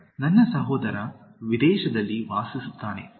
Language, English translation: Kannada, 6) My brother lives in abroad